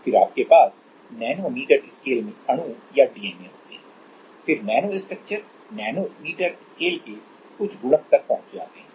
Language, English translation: Hindi, Then you have molecules or DNA in nanometer scale, then nanostructures are access in like few tense of nanometer scale